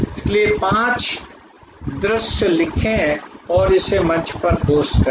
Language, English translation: Hindi, So, write five views and post it on the forum